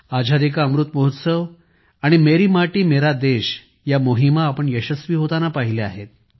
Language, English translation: Marathi, We experienced successful campaigns such as 'Azadi Ka Amrit Mahotsav' and 'Meri Mati Mera Desh'